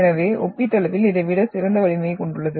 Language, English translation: Tamil, So this is comparatively having better strength than this one